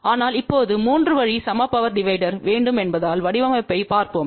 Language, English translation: Tamil, So, let us see in order to design a 3 way equal power divider